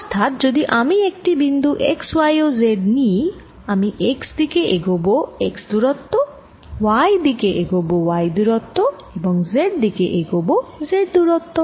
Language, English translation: Bengali, so if i am giving a point x, y and z, i am moving in direction by x, y, direction by y and then z direction by z